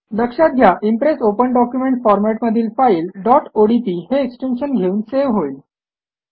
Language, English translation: Marathi, Note that the Impress Open Document Format will be saved with the extension .odp